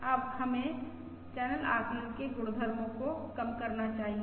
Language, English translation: Hindi, Now let us lower the properties of the channel estimate